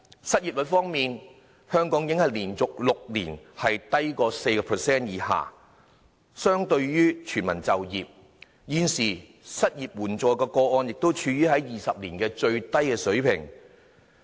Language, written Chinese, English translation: Cantonese, 失業率方面，香港已經連續6年低於 4%， 相當於全民就業，失業綜援個案現時正處於20年來的最低水平。, An unemployment rate of below 4 % for the sixth consecutive year enables Hong Kong to be close to full employment and the number of cases involving Comprehensive Social Security Assistance for the unemployed has dropped to the lowest level in 20 years